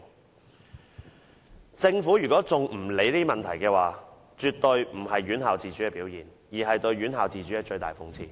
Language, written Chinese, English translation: Cantonese, 如果政府仍不理會這些問題，絕對不是尊重院校自主的表現，而是對院校自主的最大諷刺。, I disagree . If the Government continues to turn a blind eye to these problems it is not acting in a way that respects institutional autonomy . Its inaction is the biggest irony to institutional autonomy